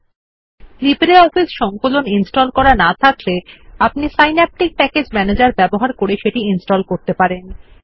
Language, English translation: Bengali, If you do not have LibreOffice Suite installed, Draw can be installed by using Synaptic Package Manager